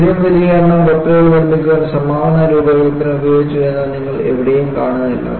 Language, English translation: Malayalam, Nowhere you find, a same design was used to produce such a large number of ships